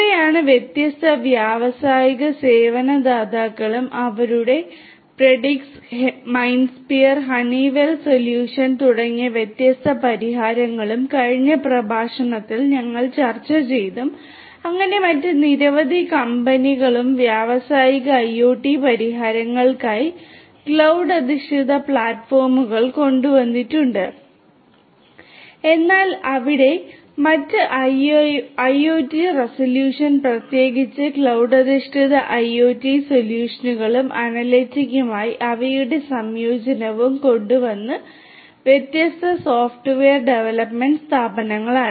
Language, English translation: Malayalam, These are the different industrial service providers and their different solutions like Predix, MindSphere and the Honeywell solution we discussed in the last lecture and so there any many others there are many other company companies which have come up with their cloud based platforms for industrial IoT solutions, but there are different other software development firms who have also come up with their IoT solutions and particularly cloud based IoT solutions and their integration with analytics right